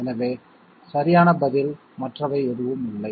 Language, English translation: Tamil, Therefore, the correct answer is none of the others okay